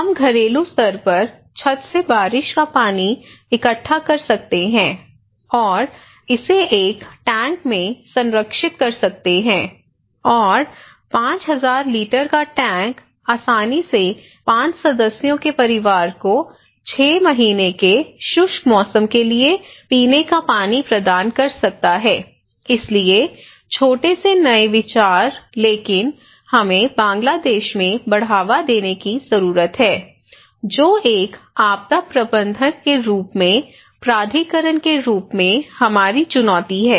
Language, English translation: Hindi, We can collect the rainwater at the domestic level at the household level and that from the rooftop and that and preserve it in a tank and that tank of 5000 litre can easily provide a family of 5 members drinking water for 6 months dry season okay, so small innovative idea but that we need to promote in Bangladesh that is our challenge as a planner as a disaster manager as the authority